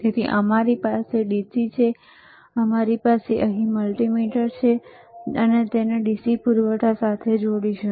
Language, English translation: Gujarati, So, we have the DC we have the multimeter here, and he will connect it to the DC power supply